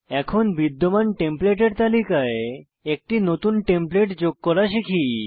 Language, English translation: Bengali, Now lets learn to add a New template to the existing Template list